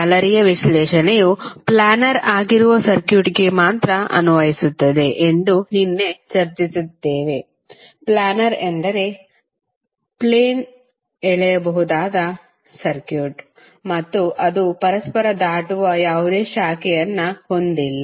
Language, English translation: Kannada, Yesterday we also discussed that the mesh analysis is only applicable to circuit that is planar, planar means the circuit which can be drawn on a plane and it does not have any branch which are crossing one another